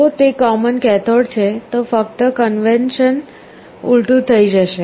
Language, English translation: Gujarati, If it is common cathode just the convention will be reversed